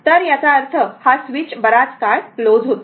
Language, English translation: Marathi, So that means this switch was closed for long time